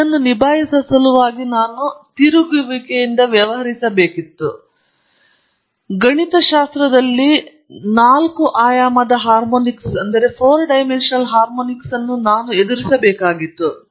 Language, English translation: Kannada, And in order to deal with this I have to deal with rotation, and I had to deal with four dimensional harmonics in the mathematics